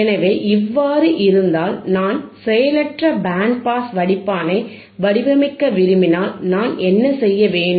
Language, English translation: Tamil, So, if this is the case and if I want to design passive band pass filter, then what can I do